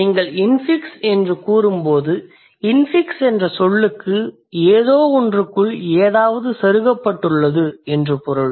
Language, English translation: Tamil, So, when you say infix, the term infix means something has been inserted inside something